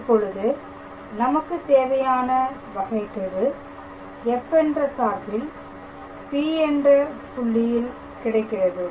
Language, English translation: Tamil, So, this is the required gradient of the function f at the point P